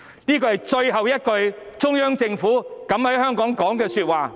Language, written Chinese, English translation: Cantonese, "這是最後一次中央政府敢於為香港說的話。, This was the last time when the Central Government boldly spoke in the interest of Hong Kong